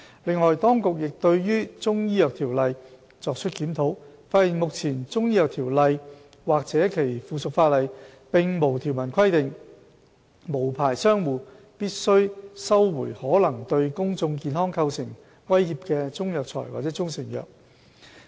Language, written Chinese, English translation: Cantonese, 另外，當局亦對《條例》作出檢討，發現目前《條例》或其附屬法例並無條文規定，無牌商戶必須收回可能對公眾健康構成威脅的中藥材或中成藥。, On the other hand the Administration has also reviewed the Ordinance and found that there is currently no provision under the Ordinance or its subsidiary legislation that an unlicensed trader must carry out recall action regarding Chinese herbal medicines or proprietary Chinese medicines which may pose threats to public health